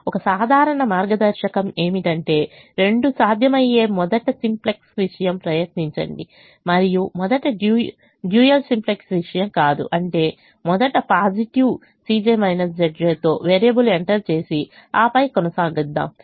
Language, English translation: Telugu, a general guideline is: if both are possible, try the simplex thing first and not the dual simplex thing first, which means try to first enter a variable with a positive c j minus z j and then proceed only if it is absolutely necessary